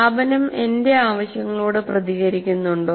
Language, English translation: Malayalam, And is the institution responsive to my needs